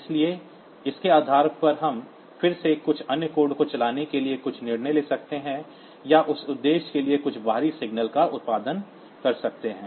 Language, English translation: Hindi, So, based on that we can again take some decision to run some other piece of code or produce some external signal for that purpose